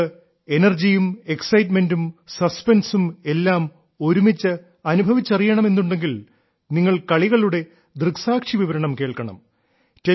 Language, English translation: Malayalam, If you want energy, excitement, suspense all at once, then you should listen to the sports commentaries